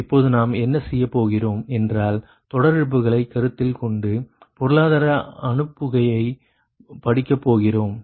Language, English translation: Tamil, now, what we will do, we will study the economic dispatch, considering line losses right now